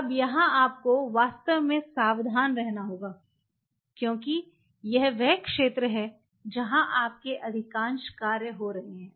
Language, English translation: Hindi, Now here you have to be really careful because this is the zone where most of your work will be happening